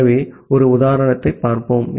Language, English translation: Tamil, So, let us see an example